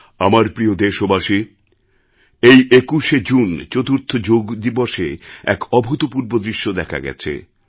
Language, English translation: Bengali, My dear countrymen, this 21st of June, the fourth Yoga Day presented the rarest of sights